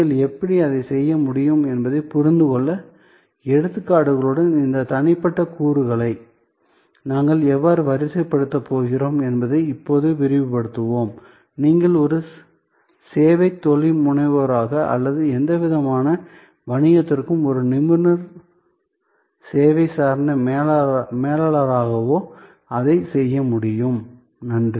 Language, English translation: Tamil, We will now expand that how we are going to deploy these individual elements with examples to understand that how you could do that, you will be able to do that as a service entrepreneur or as a service entrepreneur or as a expert service oriented manager for any kind of business